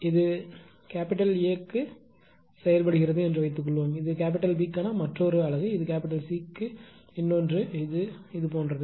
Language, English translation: Tamil, Suppose it was operating that apart this is for A, this is another unit for B, this is another for C something like this right